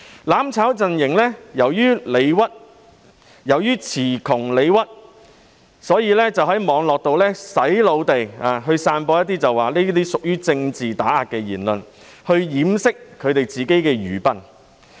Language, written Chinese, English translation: Cantonese, "攬炒"陣營由於詞窮理屈，故此在網絡上"洗腦"地聲稱這些屬政治打壓言論，以掩飾他們的愚笨。, As the mutual destruction camp failed to provide sufficient justification they made persuasive claims of political suppression on the Internet to cover up their stupidity